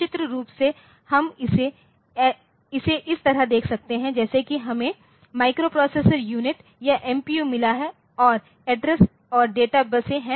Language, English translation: Hindi, So, pictorially we can see it like this the as if we have got the microprocessor unit or MPU and there are address and data buses